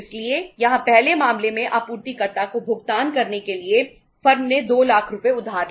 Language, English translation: Hindi, So here the in the first case firm borrowed 2 lakh rupees to make the payment to the supplier